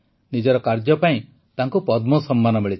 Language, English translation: Odia, He has received the Padma award for his work